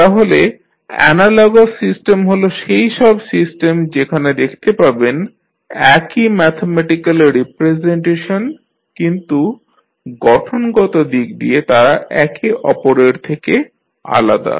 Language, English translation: Bengali, So, analogous systems are those systems where you see the same mathematical representation but physically they are different with each other